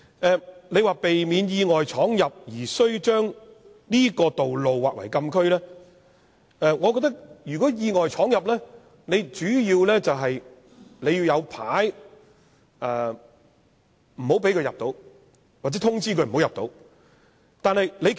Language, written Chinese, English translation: Cantonese, 這裏說避免意外闖入而須將道路劃為禁區，我覺得如果要避免意外闖入，便應有告示牌不讓他們闖入或通知他們不要進入。, The document says the delineation of the access roads as closed area is for the prevention of the unintentional entry of vehicles . But I think the better way to achieve this is to erect road signs to warn or advise drivers against entering the said area